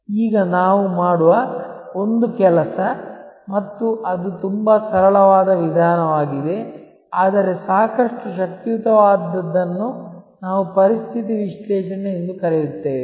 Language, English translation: Kannada, Now, one of the things we do and it is very simple approach, but quite powerful is what we do we call a situation analysis